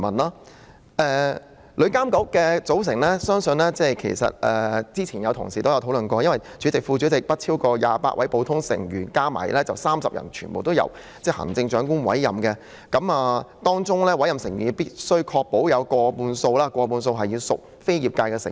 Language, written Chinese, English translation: Cantonese, 至於旅監局的組成，早前已有同事提出討論，其主席、副主席及不超過28位普通成員合共30人，全部由行政長官委任，而在委任成員中必須確保有過半數屬業界成員。, With regard to the composition of TIA it has been brought up for discussion by colleagues earlier on . It has altogether 30 members including a chairperson a vice - chairperson and no more than 28 ordinary members . All of them will be appointed by the Chief Executive and it must be ensured that more than 50 % of the appointed members are trade members